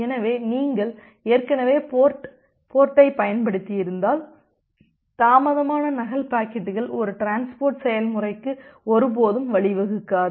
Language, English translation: Tamil, So if you have already used the port so, the delayed duplicate packets it will never find their way to a transport process